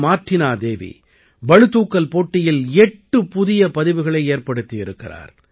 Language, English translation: Tamil, Martina Devi of Manipur has made eight records in weightlifting